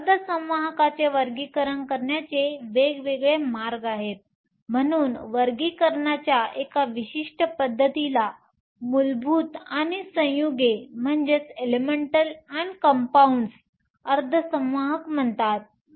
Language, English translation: Marathi, So, there different ways of classifying semiconductors, so one particular method of classification is called elemental and compound semiconductors